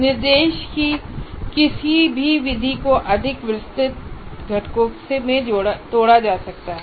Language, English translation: Hindi, So what happens is any method of instruction can be broken into more detailed components like that